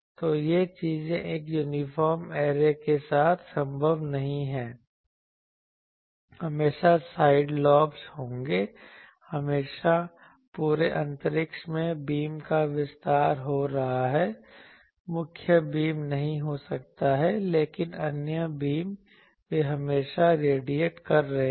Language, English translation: Hindi, So, these things are not possible with an uniform array, always there will be side lobes, always there will be that throughout the whole space, the beam is extending, may not be the main beam, but the other beams they are always radiating